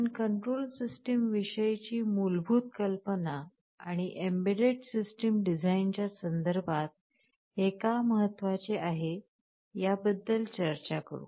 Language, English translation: Marathi, We shall look into the basic idea about control systems and why it is important in the context of embedded system design